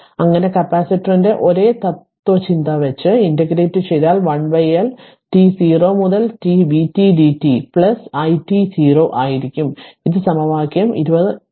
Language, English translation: Malayalam, So, if you integrate same like capacitors same philosophy and it will be 1 upon L t 0 to t v t dt plus i t 0 that is equation 20 3 where i t 0